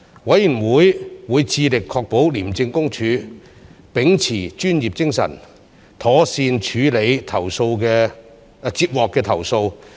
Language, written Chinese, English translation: Cantonese, 委員會會致力確保廉政公署秉持專業精神，妥善處理接獲的投訴。, The Committee endeavours to ensure the professional and proper handling of relevant complaints by the ICAC